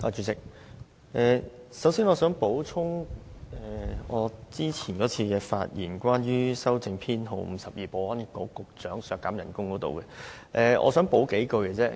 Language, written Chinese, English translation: Cantonese, 主席，首先，我想補充我上一次的發言，關於修正案編號 52， 削減保安局局長的全年預算薪酬開支。, Chairman to begin with I wish to add a few points to my earlier speech on Amendment No . 52 concerning the deduction of the estimated annual expenditure on the Secretary for Securitys remuneration